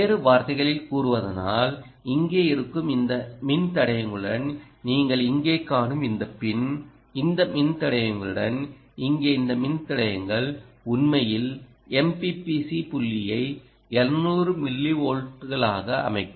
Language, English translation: Tamil, in other words, this pin that you see here, with this registers that are here, ah, with these, this resisters, this resisters here, will actually set the ah m p p c point to seven hundred millivolts